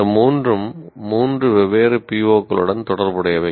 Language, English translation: Tamil, These three are associated with three different POs